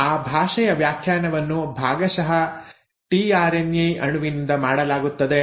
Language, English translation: Kannada, Now that interpretation of the language is done in part, by the tRNA molecule